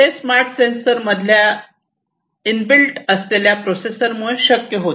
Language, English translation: Marathi, And this would be possible with the help of the processor that is inbuilt into this smart sensor